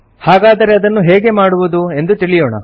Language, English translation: Kannada, So let us learn how to do this